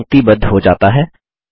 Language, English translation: Hindi, The text gets aligned